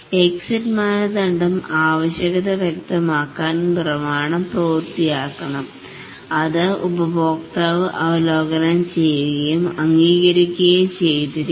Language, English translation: Malayalam, The exit criteria is that the requirement specification document must have been completed, it must have been reviewed and approved by the customer